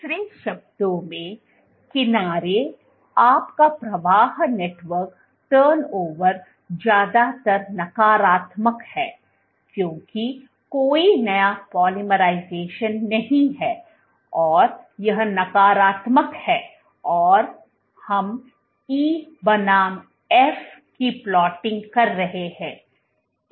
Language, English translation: Hindi, In other words, edge, your flow network turnover is mostly negative because there is no new polymerization this is negative and, we are plotting E versus F, E versus flow edge displacement is backward